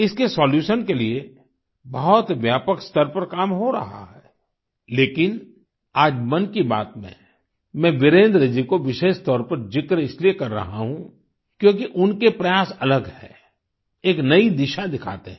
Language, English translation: Hindi, Work is being done on a massive scale to find the solution to this issue, however, today in Mann Ki Baat, I am especially mentioning Virendra ji because his efforts are different and show a new way forward